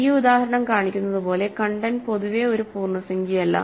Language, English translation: Malayalam, As this example shows content is in general not an integer